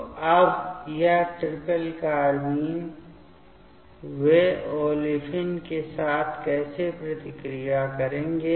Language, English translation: Hindi, So, now, this triplet carbine, how they will react with the olefin